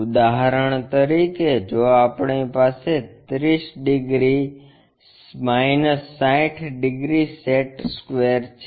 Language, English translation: Gujarati, For example, if we are having a 30 degrees 60 degrees set square